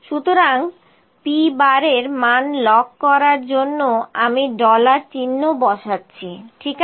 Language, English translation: Bengali, So, let me put it dollar sign to lock the value of p bar; p bar is to be locked, ok